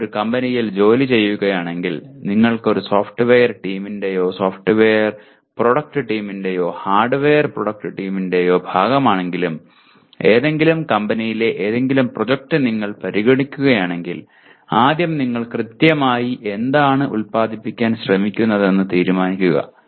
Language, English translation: Malayalam, If you are working in a company, whether you are a part of a software team, software product team or a hardware product team, if you are considering any project in any company, the first thing is to decide what exactly are you trying to produce